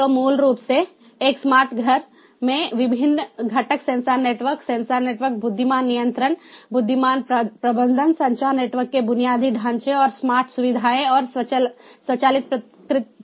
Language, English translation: Hindi, so, ah, in a smart home, basically the different components are sensor networks, sensor sensor networks, intelligent control, intelligent management, communication network infrastructure and smart features and automatic responses